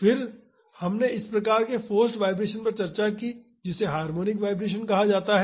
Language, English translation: Hindi, Then we discussed one type of forced vibration called harmonic vibration